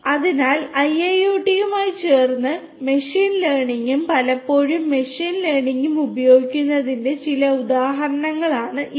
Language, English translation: Malayalam, So, these are some of these examples of the use of machine learning and often machine learning combined with IIoT